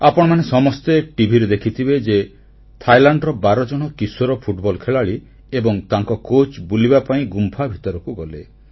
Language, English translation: Odia, V… in Thailand a team of 12 teenaged football players and their coach went on an excursion to a cave